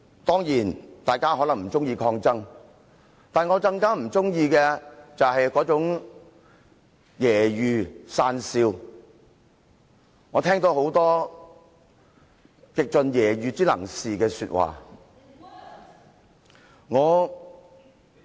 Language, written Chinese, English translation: Cantonese, 當然，大家可能不喜歡抗爭，但我更不喜歡的是那種揶揄、訕笑。我聽到很多極盡揶揄之能事的說話。, In the course of our resistance just now Certainly Members may not like to see resistance but I all the more dislike that kind of scoffing and teasing as I have heard a lot of most derisive scornful remarks